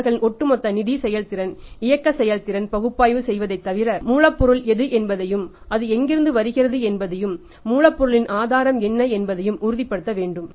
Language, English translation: Tamil, The bank apart from analysing their overall financial performance, operating performance we should also make sure what is the raw material and from where it is coming what is the source of raw material